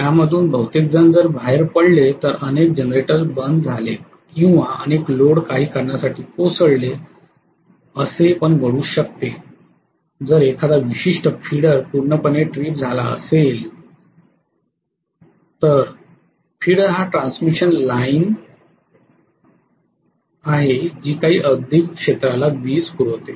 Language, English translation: Marathi, If many of them conked out, many generators conked out or many loads for some reason conked out which can also happen if one particular feeder is tripped completely, feeder is a transmission line which feeds power to some industrial area probably